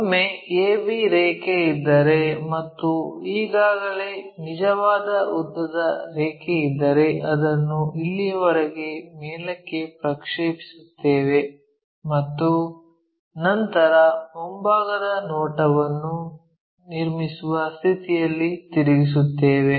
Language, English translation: Kannada, Once a b line is there and already true length line we know project it back all the way up, all the way up, up to here, up to here rotate it all the way there so, that we will be in a position to construct, this front view